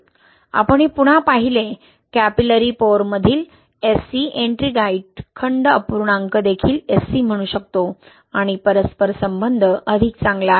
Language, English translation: Marathi, We saw this again, SC, I mean, this volume, Ettringite volume fraction in capillary pores can also be called SC and the relation is, correlation is better